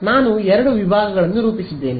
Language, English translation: Kannada, I have plotted two sections yeah